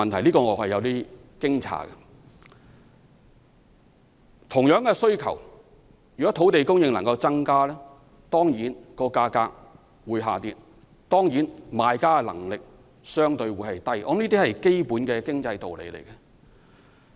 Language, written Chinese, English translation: Cantonese, 在同樣的需求下，若能增加土地供應，價格當然會下跌，賣家的能力會相對低，這是基本的經濟道理。, If the demand for housing remains unchanged an increase in land supply will certainly push down the prices weakening the bargaining power of sellers . This is a basic concept in economics